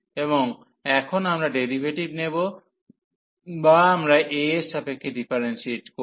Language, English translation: Bengali, And now we will take the derivative or we will differentiate this with respect to a